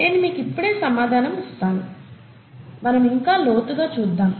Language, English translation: Telugu, Let me give you the answer right away, and then dig deeper